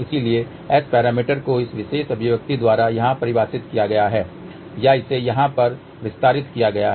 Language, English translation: Hindi, So, S parameters are defined by this particular expression here or this was expanded over here